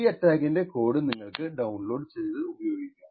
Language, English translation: Malayalam, So, the code for the attack can be downloaded, thank you